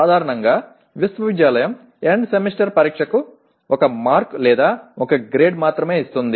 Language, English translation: Telugu, Generally university gives only one mark or one grade for the End Semester Exam